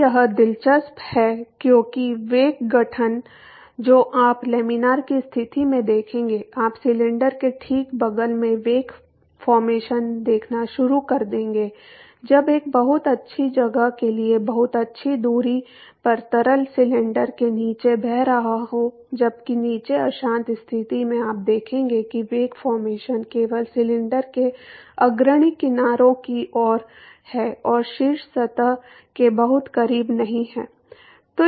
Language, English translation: Hindi, So, this is interesting because the wake formation that you would observe in laminar condition, you will start seeing wake formations the right next to the cylinder at for a for a pretty good location pretty good distance when the fluid is flowing past the cylinder while under the turbulent condition you will see that the wake formation is only toward the leading edge of the cylinder and not very close to top surface